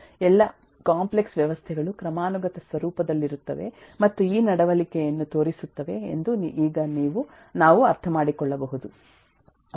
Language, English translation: Kannada, is it necessary that all complex systems be hierarchic in nature and show these behavior